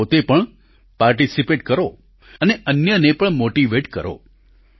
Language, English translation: Gujarati, So do participate and motivate others too